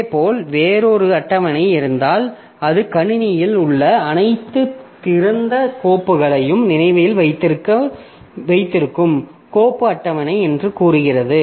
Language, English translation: Tamil, Similarly, if there is another table which is say the file table that remembers all the open files that we have in the system